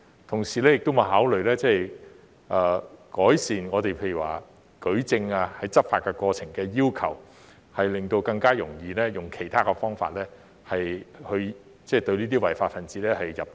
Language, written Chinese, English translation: Cantonese, 同時，有否考慮改善執法過程的舉證要求，以便更容易運用其他方法，令這些違法分子入罪？, Meanwhile has it considered refining the evidential requirements regarding the enforcement process so as to facilitate the employment of other means to secure a conviction against these lawbreakers?